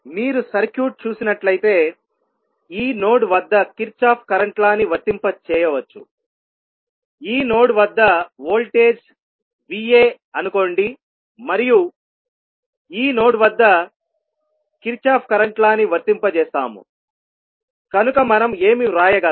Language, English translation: Telugu, You will, if you see the circuit you can apply Kirchhoff current law at this node, let say the voltage at this node is V a and we apply Kirchhoff current law at this node, so what we can write